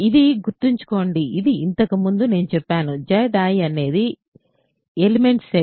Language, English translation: Telugu, Remember this is, I told what this is earlier, Z i is the set of elements